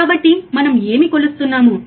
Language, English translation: Telugu, So, what are we are measuring